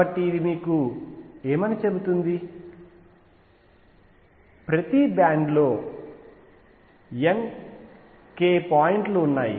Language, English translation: Telugu, So, what this tells you, that there are n k points in each band right